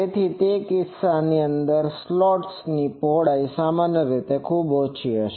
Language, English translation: Gujarati, So, in that case slots are generally that width are very small